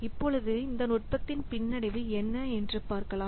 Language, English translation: Tamil, Now let's see what is the drawback of this technique